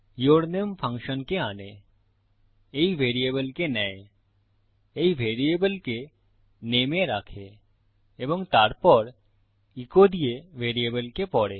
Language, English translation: Bengali, yourname calls the function, takes this variable into account, puts this variable into name and then reads the variable from echo